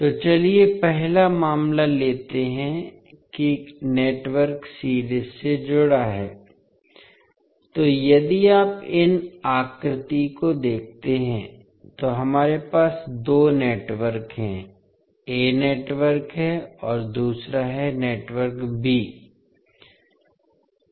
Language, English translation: Hindi, So, let us take first case that the network is series connected, so if you see in the figure these we have the two networks, one is network a and second is network b